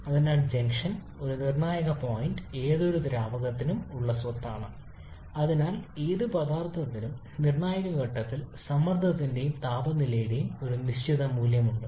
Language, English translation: Malayalam, So critical point is a property for any fluid and therefore any substance has a fixed value of pressure and temperature at the critical point